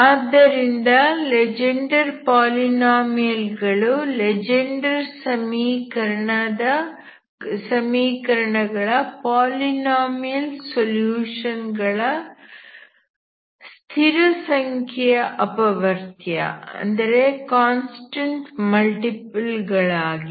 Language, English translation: Kannada, So this Legendre polynomial is actually constant multiple of a polynomial solution of Legendre equations, okay